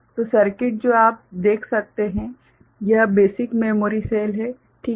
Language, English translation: Hindi, So, the circuit that you can see, now this is the basic memory cell ok